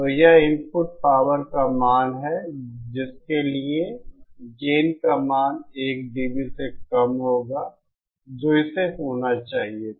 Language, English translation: Hindi, So, this is that value of the input power for which the value of the gain will be 1 dB lesser than what it should have been